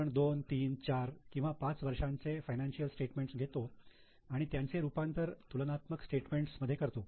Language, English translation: Marathi, So we take two, three, four, five years of financial statements and convert it into a comparative statement